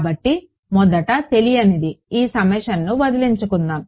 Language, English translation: Telugu, So, first unknown let us get rid of this summation